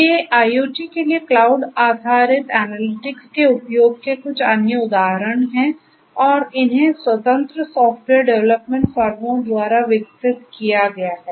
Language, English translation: Hindi, So, these are few of the other examples of the use of you know cloud based analytics for IoT and these have been developed by independent software development firms